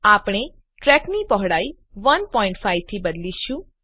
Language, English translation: Gujarati, We will change the track width to 1.5